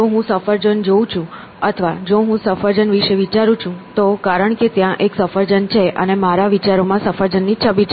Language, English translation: Gujarati, If I see an apple or if I think of an apple, it is because there is an apple out there and my thought is in the image of that apple that is out there